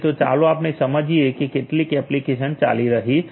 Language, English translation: Gujarati, So, let us say that some application is running